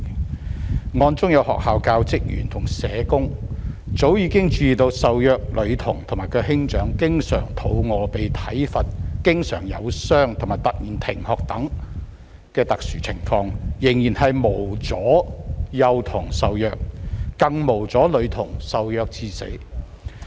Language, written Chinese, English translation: Cantonese, 在這宗案件中，雖然學校教職員和社工早已注意到受虐女童和兄長經常挨餓、被體罰、受傷及突然停學等特殊情況，但仍然無阻幼童受虐，更無阻女童受虐至死。, In the said case the school teaching staff and SSWs had long noticed that the abused girl and her elder brother were in abnormal situations eg . suffering long - standing starvation corporal punishment and injuries and dropped out all of a sudden but that did not save those young kids from abuse nor save the little girl from being abused to death